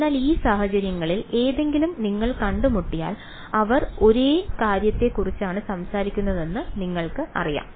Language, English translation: Malayalam, So, you encounter any of these things you know they are talking about the same thing ok